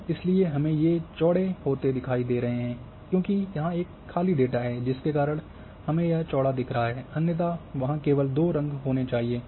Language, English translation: Hindi, And why we are getting wide because here there is a blank data that is why we are getting wide otherwise there should have been only two colours